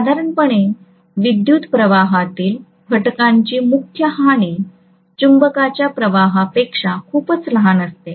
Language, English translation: Marathi, Normally, the core loss of component of current will be much smaller than the magnetising current